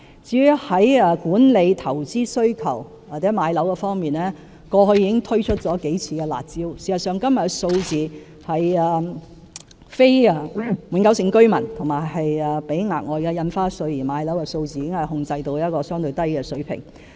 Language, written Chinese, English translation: Cantonese, 至於在管理投資需求或置業方面，過去已經推出了數次"辣招"，事實上，今天非永久性居民及須支付額外印花稅買樓的數字已控制在一個相對低的水平。, As for the management of demand for investment or home purchase several rounds of curb measures were introduced in the past . In fact today the number of property purchased by non - permanent residents and the number of transactions paying Special Stamp Duty are maintained at a relatively low level